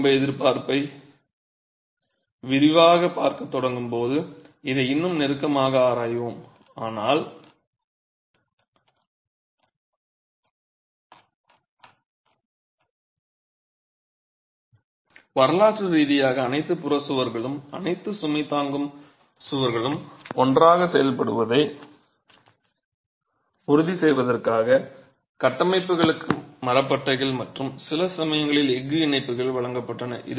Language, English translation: Tamil, We will examine this more closely when we start looking at detailing for earthquake resistance but historically structures were given timber bands and sometimes steel ties to ensure that all peripheral walls and all load bearing walls act together